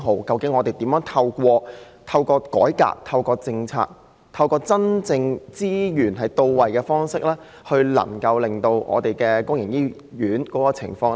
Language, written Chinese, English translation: Cantonese, 究竟政府應該如何透過改革及政策，讓資源真正到位，從而改善公營醫院的情況呢？, What reforms and policies should be undertaken by the Government so as to enable its resources to really reach the needy hands and in turn rectify the situation of public hospitals?